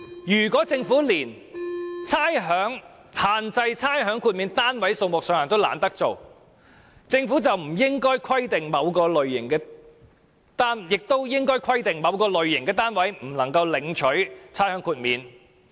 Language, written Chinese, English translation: Cantonese, 如果政府連限制差餉豁免單位數目都懶做，起碼也應規定某類型的單位不能豁免差餉。, If the Government is too lazy to limit the number of properties eligible for rates concession at least it should specify the types of properties not eligible for rates concession